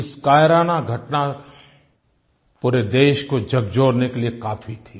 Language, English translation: Hindi, This cowardly act has shocked the entire Nation